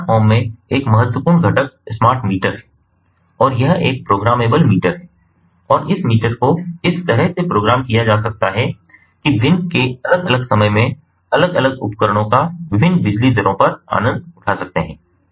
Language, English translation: Hindi, in a smart home, the one of the important components is the smart meter, and this is a programmable meter, and this meter can be programmed in such a way that at different times of the day, the different appliances can be ah, ah, can be enjoying the ah different ah, ah, you know, loads of electricity at different rates